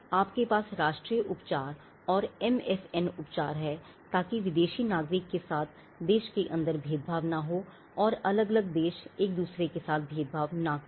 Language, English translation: Hindi, Again, you have the national treatment and the MFN treatment, so that foreign nationals are not discriminated within the country; and also foreign countries are not discriminated between each other